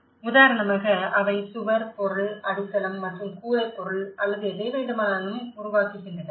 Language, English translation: Tamil, For instance, they develop a template of walling material, the foundation and the roofing material or whatever